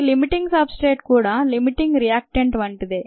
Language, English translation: Telugu, the limiting substrate is similar to the concept of limiting reactant